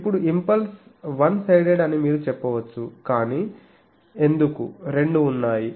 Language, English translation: Telugu, Now, you can say that impulse is one sided, but why there are 2